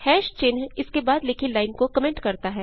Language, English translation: Hindi, # sign comments a line written after it